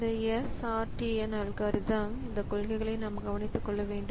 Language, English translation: Tamil, So even for this SRT and algorithm so we have to take care of these policies